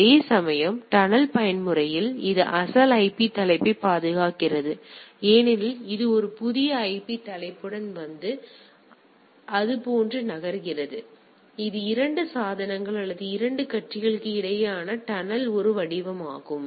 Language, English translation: Tamil, Whereas, in case of tunnel mode protects the original IP header because it comes with a new IP header and moves like that; so, it is a form a tunnel thing between the 2 devices or 2 parties